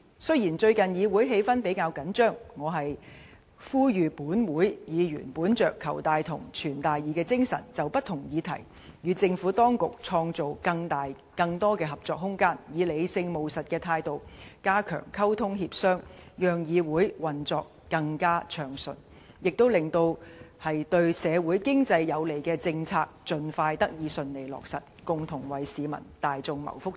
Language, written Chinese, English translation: Cantonese, 雖然最近議會氣氛比較緊張，我呼籲本會議員本着"求大同，存大異"的精神，就不同議題與政府當局創造更大、更多的合作空間，以理性務實的態度，加強溝通協商，讓議會運作更暢順，亦令對社會經濟有利的政策盡快得以順利落實，共同為市民大眾謀福祉。, Despite the recent tension in the legislature I call on Members to uphold the spirit of seeking greater common ground while accommodating major differences and expand the room for cooperation with the Administration on various issues . If Members can step up communication and negotiation with a rational and pragmatic attitude the legislature will operate more smoothly . In this way policies which benefit the community and the economy can be successfully implemented as soon as possible for the common well - being of the general public